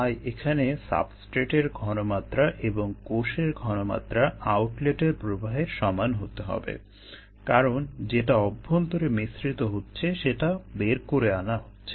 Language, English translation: Bengali, so the substrate concentration and the cell concentration here need to be the same as in the outlet stream, because what is being inside well makes is being pulled out